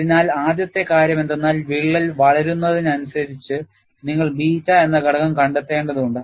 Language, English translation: Malayalam, So, one of the first aspect is, as the crack grows, you will have to find out, the factor beta, that is what is mentioned as geometry factor